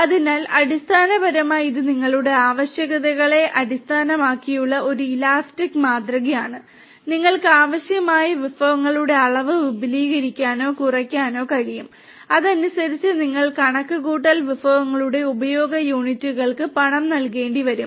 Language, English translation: Malayalam, So, you can basically it’s an elastic kind of model you know based on your requirements you can expand or decrease the amount of resources that would be required and accordingly you are going to be you will have to pay for units of usage of the computational resources